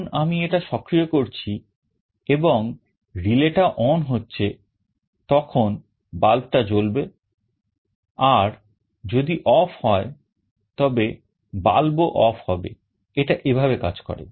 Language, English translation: Bengali, When I am activating it and the relay becomes on, the bulb will glow, and if it is off the bulb will be off this is how it works